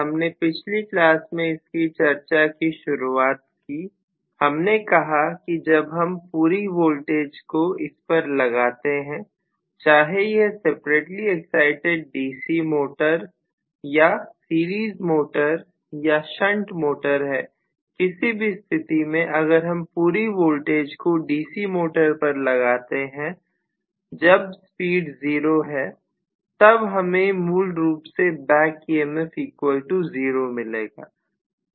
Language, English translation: Hindi, We just actually started off with this discussion in the last class, we said that when we are actually applying full voltage whether it is a weekly excited DC motors or series motor or shunt motor either way if we are applying full voltage to a DC motor when the speed is 0, I am going to have essentially back EMF equal to 0